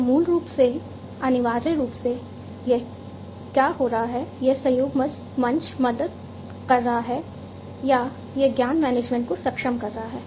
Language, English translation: Hindi, So, basically what is happening essentially is this collaboration platform is helping or, enabling knowledge management, it is enabling knowledge management